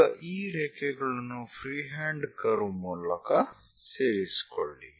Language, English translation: Kannada, Now join these lines by a free hand curve